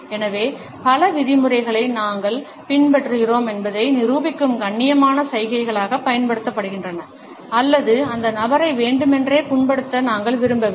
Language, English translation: Tamil, So, many of used as polite gestures which demonstrate that we are following the rules or we do not want to deliberately offend the person